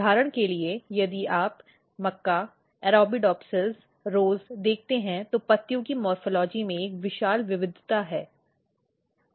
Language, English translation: Hindi, So, for example, if you look maize, Arabidopsis, rose, there is a huge variety in the morphology of leaves